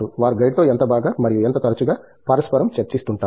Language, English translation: Telugu, How well and how often they interact with the guide